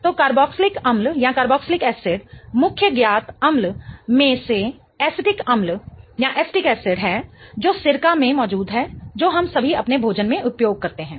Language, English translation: Hindi, So, uh, carboxylic acids, one of the main known acids is acetic acid which is present in vinegar, which we all use in our food